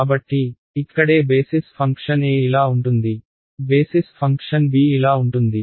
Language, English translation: Telugu, So, this is where right so basis function a is like this, basis function b is like this